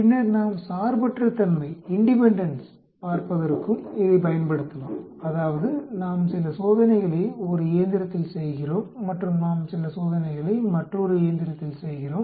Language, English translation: Tamil, And then we can also use it for looking at independence that means, we are performing some experiments and in one machine then we are performing some experiments in another machine